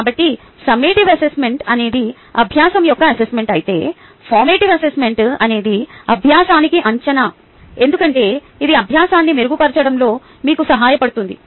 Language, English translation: Telugu, so summative assessment is assessment of learning, whereas formative assessment is assessment for learning, because it helps you to improve the the learning